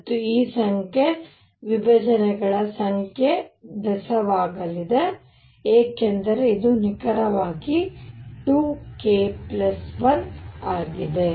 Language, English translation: Kannada, And this number, number of splittings are going to be odd, because this is precisely 2 k plus 1